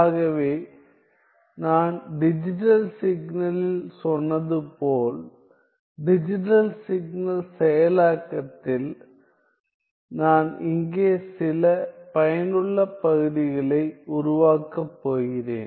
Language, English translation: Tamil, So, as I said in digital signaling; in digital signal processing so I am just going to build up some useful terms here